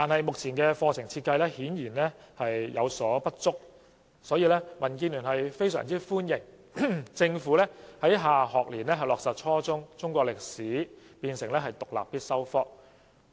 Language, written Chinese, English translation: Cantonese, 目前的課程設計顯然不足，所以，民建聯非常歡迎政府在下學年落實把初中的中國歷史課程列為獨立必修科。, This is why DAB welcomes the inclusion of Chinese History as an independent compulsory subject for the junior secondary level in the coming school year